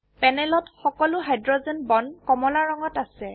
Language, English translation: Assamese, On the panel, we have all the hydrogen bonds in orange color